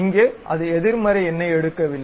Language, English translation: Tamil, So, here it is not taking a negative number